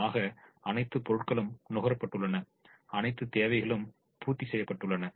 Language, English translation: Tamil, so all the supplies have been consumed, all the requirements have been met